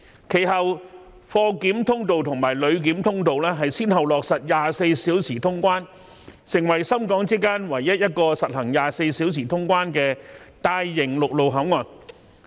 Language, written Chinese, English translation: Cantonese, 其後，貨檢通道和旅檢通道先後落實24小時通關，成為深港之間唯一一個實行24小時通關的大型陸路口岸。, Later on 24 - hour cargo clearance and passenger clearance were implemented one after another which has made the Port the only large - scale land route port providing round - the - clock clearance service between Shenzhen and Hong Kong